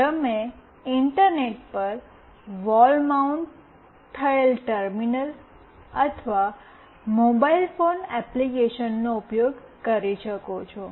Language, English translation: Gujarati, You can use a wall mounted terminal or a mobile phone application, over the Internet